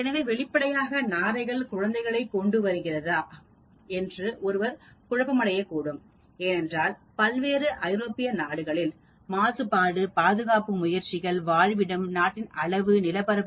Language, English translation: Tamil, So obviously, one may get confused about whether storks bring in, because the storks population in various European countries depends upon pollution, conservation efforts, habitat, size of the country, land area